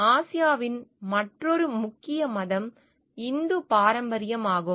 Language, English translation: Tamil, The other major religion in Asia is Hindu tradition